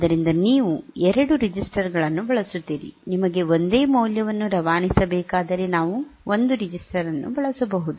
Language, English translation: Kannada, So, you use 2 registers, if you requires on a single value to be passed we can use one register, that way